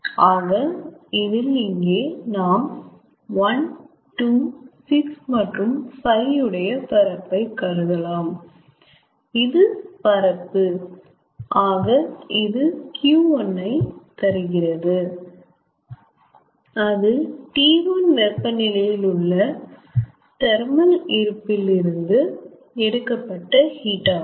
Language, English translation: Tamil, so from here, if we consider the area of one, two, six and five, this area, so this gives q one, that is, heat taken from a thermal reservoir, from thermal reservoir at temperature t one